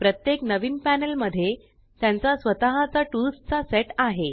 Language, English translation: Marathi, Each new panel has its own set of tools